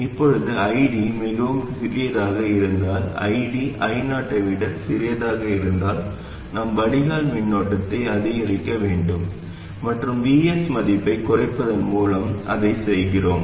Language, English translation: Tamil, And similarly, if ID is too small, if ID is smaller than I 0, then we must increase the drain current and we do that by reducing the value of VS